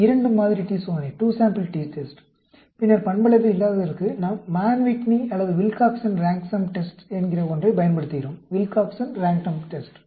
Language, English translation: Tamil, , Two sample t test; then, for a nonparametric, we use something called Mann Whitney or Wilcoxon Rank Sum Test, Wilcoxon Rank Sum Test